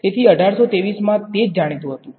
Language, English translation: Gujarati, So, for 1823 that is what was known